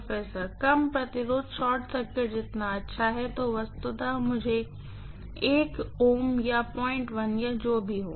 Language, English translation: Hindi, Low resistance is as good as short circuit, I am going to have literally 1 ohm or 0